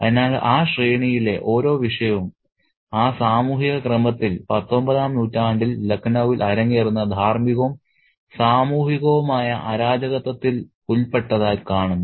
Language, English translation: Malayalam, So, every subject in that hierarchy, in that social order seems to be implicated in the moral and social disorder at chaos that's kind of playing out in 19th century Lucknow